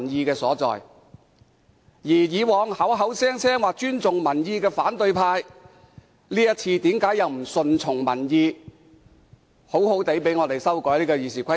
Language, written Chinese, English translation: Cantonese, 反對派過往口口聲聲表示尊重民意，這次為何不順從民意，讓我們好好修改《議事規則》？, In the past the opposition camp kept claiming that they respected public opinion . Why not go along with public opinion this time and let us duly amend RoP?